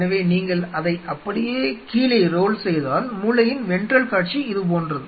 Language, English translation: Tamil, So, if you roll it down like that, the ventral view is something like this of the brain